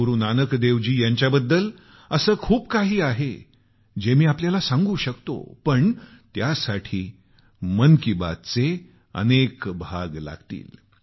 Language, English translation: Marathi, There is much about Guru Nanak Dev ji that I can share with you, but it will require many an episode of Mann ki Baat